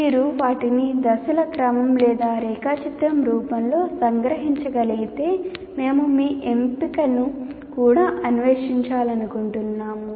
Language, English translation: Telugu, If you can capture them as a sequence of steps or in the form of a diagram, we would like to kind of explore your option as well